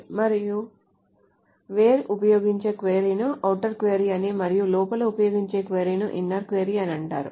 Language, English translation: Telugu, The query on which the from and where is used is called the outer query and the query that is used inside is called the inner query